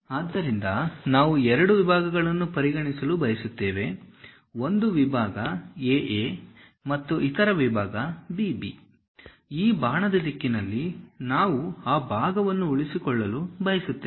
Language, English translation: Kannada, So, we would like to consider two sections; one section A A and other section B B; in the direction of arrow we would like to retain that part